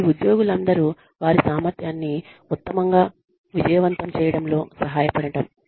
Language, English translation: Telugu, It is to help, all the employees, succeed, to the best of their ability